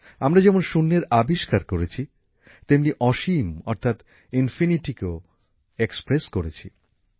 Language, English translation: Bengali, If we invented zero, we have also expressed infinityas well